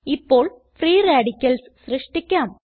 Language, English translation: Malayalam, Now lets create the free radicals